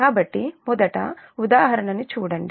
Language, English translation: Telugu, so now will come to the example